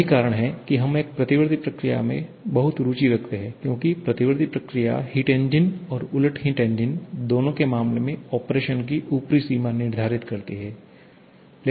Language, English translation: Hindi, That is why we are very much interested in a reversible process because reversible process sets up the upper limit of operation both in case of heat engines and reversed heat engines